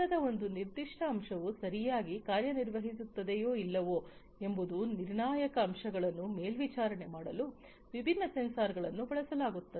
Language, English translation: Kannada, So, sensors different sensors are used to monitor the critical elements such as whether, a particular component of a machine is functioning properly or not